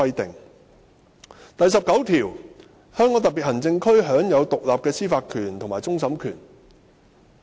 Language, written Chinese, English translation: Cantonese, 《基本法》第十九條列明"香港特別行政區享有獨立的司法權和終審權"。, Article 19 of the Basic Law stipulates that [t]he Hong Kong Special Administrative Region shall be vested with independent judicial power including that of final adjudication